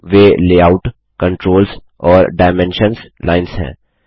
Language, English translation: Hindi, They are the Layout, Controls and Dimensions Lines